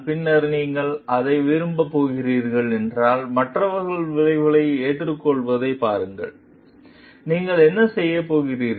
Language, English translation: Tamil, And then if you are going to like see others have face the consequences, what you are going to do